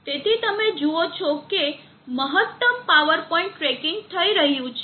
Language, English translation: Gujarati, So you see that maximum power point tracking is happening